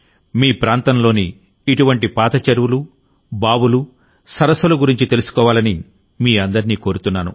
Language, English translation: Telugu, I urge all of you to know about such old ponds, wells and lakes in your area